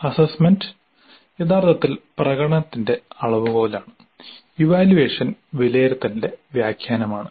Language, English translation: Malayalam, Now assessment actually is a measure of performance and evaluation is an interpretation of assessment